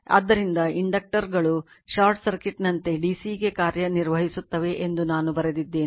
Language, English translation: Kannada, So, this is I have written for you recall that inductors act like short circuit short circuit to dc right